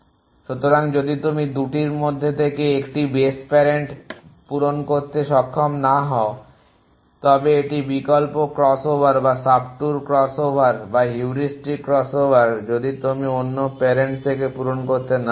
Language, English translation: Bengali, So, even if you 1 not able to fill in the parent from 1 of the 2 base on this whether it is alternating crossover or subtour crossover or heuristic crossover if you are not able to filling from another parent